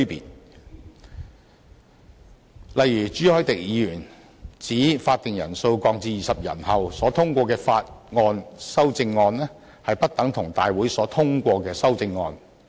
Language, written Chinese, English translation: Cantonese, 舉例而言，朱凱廸議員指會議法定人數降至20人後所通過的法案修正案，不等同立法會大會所通過的修正案。, For example Mr CHU Hoi - dick said that an amendment to a bill passed by a committee of the whole Council after the quorum is reduced to 20 members will not be the same as an amendment passed in the Legislative Council